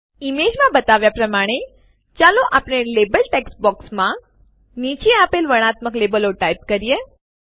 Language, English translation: Gujarati, Let us type the following descriptive labels in the label text boxes as shown in the image